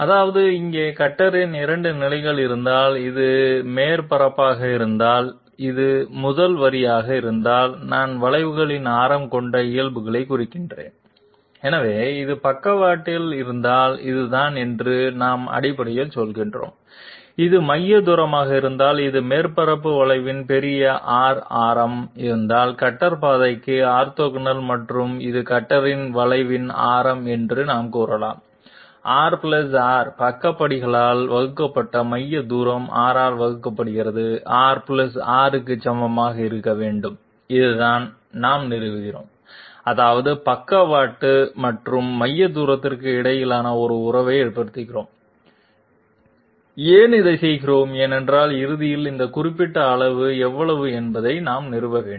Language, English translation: Tamil, That is if we have 2 positions of the cutter here and if this be the surface, this be the first line I mean the normals containing the radius of curvatures, so we are basically saying this is if this be the sidestep and if this be the centre distance and if this be big R radius of curvature of the surface orthogonal to the cutter path and this is the radius of curvature of the cutter, we can say R + R, centre distance divided by sidestep must be equal to R + r divided by R this is what we are establishing that means we are establishing a relationship between the sidestep and the centre distance, why are we doing this, because ultimately we have to establish how much is this particular magnitude